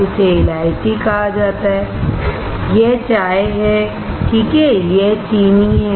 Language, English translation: Hindi, This is called cardamom, this is tea, alright, this is sugar